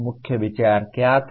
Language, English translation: Hindi, What was the main idea …